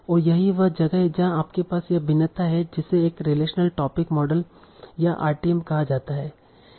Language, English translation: Hindi, And that's where you have this variation called the relational topic models or Rtems